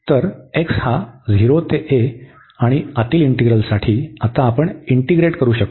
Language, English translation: Marathi, So, x from 0 to a and for the inner one we can integrate now